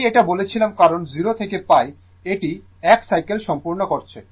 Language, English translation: Bengali, I told you that because, in 0 to pi, it is completing 1 cycle